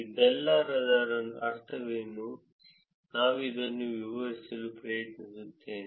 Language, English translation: Kannada, What is this all mean I will I will try to explain this